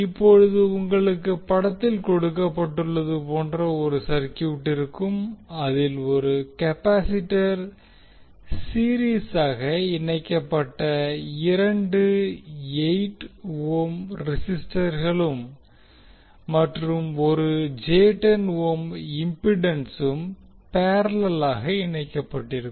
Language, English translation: Tamil, Now you have the circuit as shown in the figure in which the capacitor is connected in parallel with the series combination of 8 ohm, and 8 ohm resistance, and j 10 ohm impedance